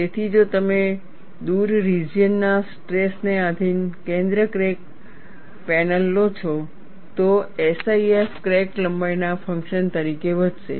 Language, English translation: Gujarati, So, if you take a center cracked panel, subjected to a far field stress, SIF would increase as the function of crack length